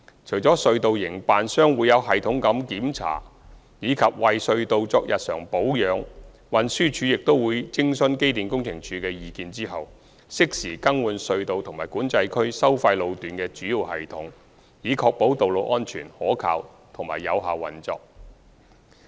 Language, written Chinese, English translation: Cantonese, 除了隧道營辦商會有系統地檢查及為隧道作日常保養外，運輸署亦會在徵詢機電工程署的意見後，適時更換隧道及管制區收費路段的主要系統，以確保道路安全、可靠和有效運作。, In addition to the tunnel operators systematic check - ups and routine upkeep of the tunnels TD also replaces major systems of the tunnels and tolled sections of the Control Areas in a timely manner after consulting the Electrical and Mechanical Services Department in order to ensure the safe reliable and effective operation of the tunnels and Control Areas